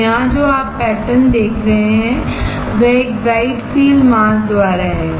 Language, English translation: Hindi, So, the pattern here that you are looking at is by a bright field mask